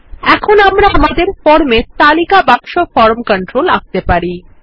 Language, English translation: Bengali, Now, we will place a List box form control here